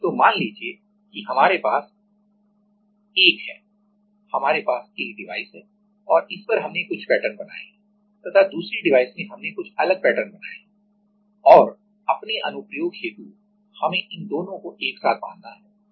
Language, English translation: Hindi, So, let us say we have a; we have a device such that on one device we have made some patterns and another device we have made some other patterns and for our application we need to bond it together